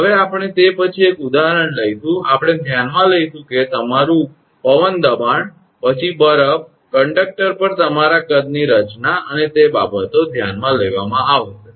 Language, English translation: Gujarati, Now, that we will take an example after that we will consider that your wind pressure, then ice your size formation on the conductor those things will be considered